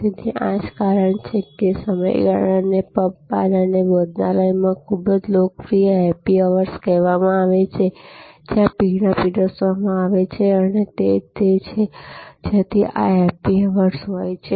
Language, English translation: Gujarati, So, this is the that is why the period is called happy hours very popular at pubs bars and a restaurants, where drinks are served; that is where this being happy hours comes from